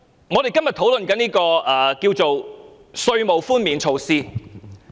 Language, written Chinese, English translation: Cantonese, 我們今天所討論的是稅務寬免措施。, Today we are discussing a tax concession measure